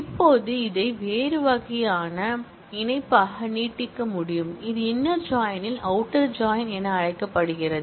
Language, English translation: Tamil, Now, we can extend this into a different kind of join, known as outer join in the inner join